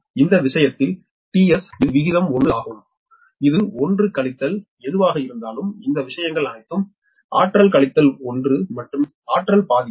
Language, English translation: Tamil, so in this case t s, it is ratio one into whatever it is, one minus all this things, to the power minus one and to the power half